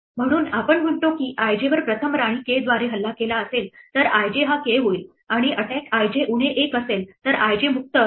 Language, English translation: Marathi, So, we say attack i j is k if i j was first attacked by queen k and attack i j is minus one if i j is free